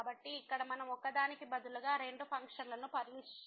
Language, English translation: Telugu, So, here we will consider two functions instead of one